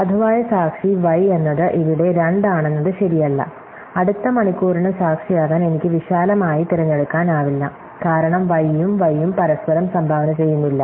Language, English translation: Malayalam, So, not it well to be valid witness y is here, then I cannot pick not wide to be the witness to the next hour, because y and not y contribute each other